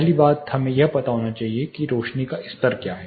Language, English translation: Hindi, The first thing we should know is luminance, illuminance level